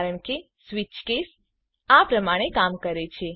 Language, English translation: Gujarati, because of the way switch case works